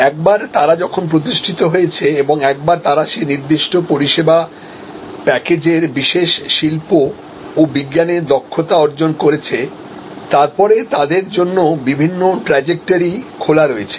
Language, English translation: Bengali, Once they establish and once they master that particular art and science of that particular service package, then there are different trajectories that are open to them